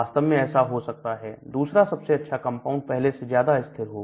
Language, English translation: Hindi, Maybe the second best compound may be more stable and so on actually